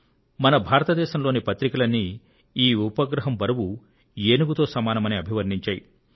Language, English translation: Telugu, The newspapers of our country have compared it with elephantine weights